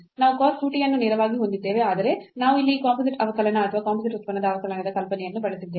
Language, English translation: Kannada, So, we will have this cos 2 t directly as well, but we used here the idea of this composite differentiation or the differentiation of composite function